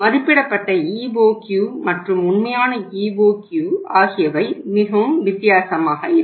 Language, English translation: Tamil, The that the EOQ worked out, estimated EOQ and actual EOQ will be much different so what will happen